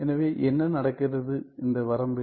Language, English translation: Tamil, So, what happens in this limit